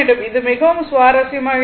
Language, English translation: Tamil, It is very interesting